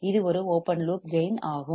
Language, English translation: Tamil, It is an open loop gain